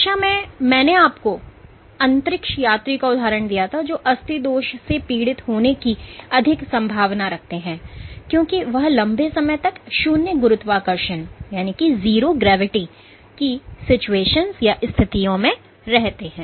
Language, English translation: Hindi, The last class I gave an example of the astronauts, who are more susceptible to suffering from bone defects because they stay under zero gravity conditions for long periods